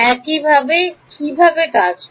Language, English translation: Bengali, How does it work